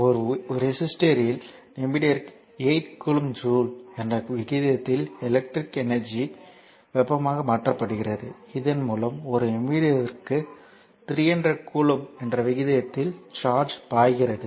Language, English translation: Tamil, So, electrical energy is converted to heat at the rate of 8 kilo joule per minute in a resister and charge flowing through it at the rate of 300 coulomb per minute